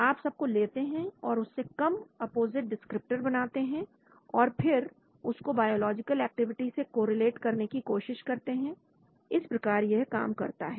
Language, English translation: Hindi, You take all of them and create some composite descriptors and then try to correlate with the biological activity that is how it does